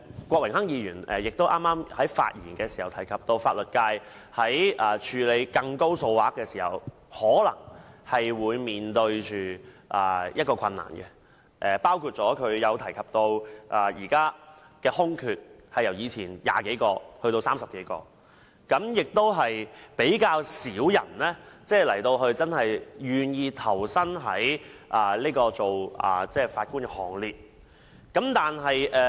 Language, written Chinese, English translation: Cantonese, 郭榮鏗議員剛才發言時提到，法律界在處理較大金額的訴訟時面對困難，包括司法機關現時的空缺由以往的20多個增加至30多個，而且較少人願意投身法官的行列。, When Mr Dennis KWOK spoke just now he mentioned that the legal profession encountered difficulties in handling litigations involving higher claim amount such as the present vacancies in the Judiciary has increased from 20 - odd in the past to more than 30 and fewer people were willing to join the Bench . I see eye to eye with Mr Dennis KWOK in this regard